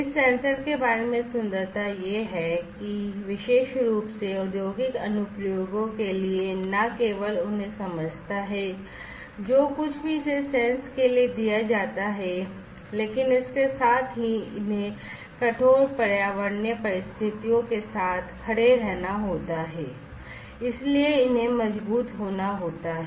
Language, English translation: Hindi, The beauty about this sensors is that particularly for industrial applications not only they are supposed to sense, whatever they have been made to sense, but also they will have to with stand the harsh environmental conditions they will have to withstand so they have to be robust enough right